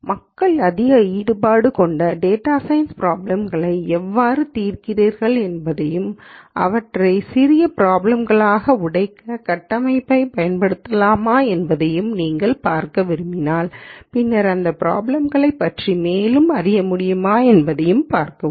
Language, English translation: Tamil, So, you might want to look at how people solve more involved data science problems and whether you can use the framework to break them down into smaller problems and then see whether you can learn more about these problems